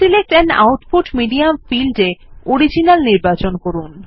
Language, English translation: Bengali, In the Select an output medium field, select Original